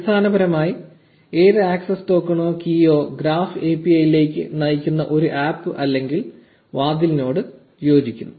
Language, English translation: Malayalam, So, essentially any access token or key corresponds to an app or a door which leads into the graph API